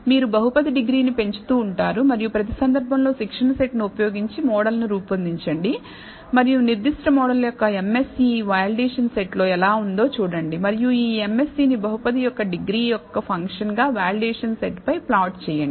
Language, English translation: Telugu, You keep increasing the degree of the polynomial and for each case, build the model using the training set and see how the MSE of that particular model is on the validation set and plot this MSE on the validation set as a function of the degree of the polynomial